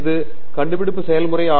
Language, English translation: Tamil, It is also discovery process